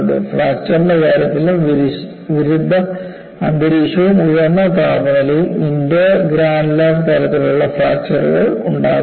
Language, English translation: Malayalam, In the case of fracture also, aggressive environment and high temperatures induces intergranular type of fracture